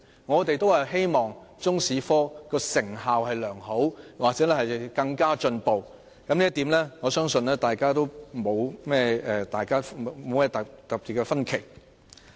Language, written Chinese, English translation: Cantonese, 我們都希望中史科成效良好或更為進步，對於這一點，我相信大家不會有太大的分歧。, We all hope that the teaching of Chinese history will be improved and become more effective and I believe we do not have great divergence on this point